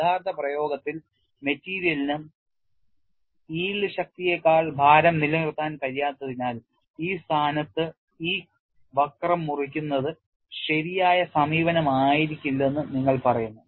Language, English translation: Malayalam, And you say, in actual practice because the material cannot sustain load beyond the yield strength, simply cutting this curve at that position will not be the right approach